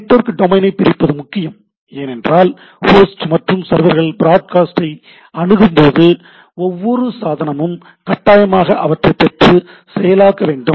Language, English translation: Tamil, Breaking up the network broadcast is important because when the host and the servers sends network broadcast every device on the must read and process that broadcast right